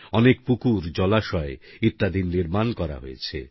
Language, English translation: Bengali, A large number of lakes & ponds have been built